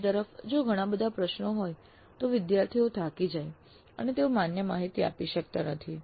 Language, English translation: Gujarati, On the other hand, if there are too many questions, fatigue may sit in and students may not provide valid data